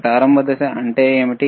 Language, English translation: Telugu, What is the start phase